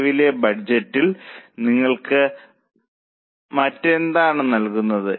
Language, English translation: Malayalam, What else is given to you for the current budget